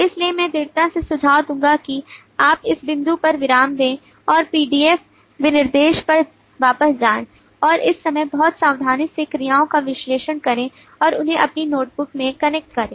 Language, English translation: Hindi, so i would strongly suggest that you pause at this point and go back to the pdf specification and go through it very carefully this time analyzing the verbs and connecting them in your notebook